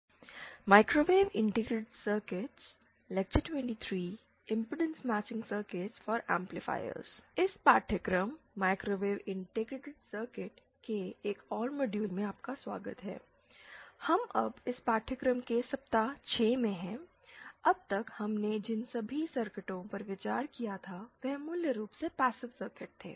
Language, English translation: Hindi, Welcome to another module of this course microwave integrated circuits, we are now in week 6 of this course, so far all the circuits that we had considered were basically passive circuits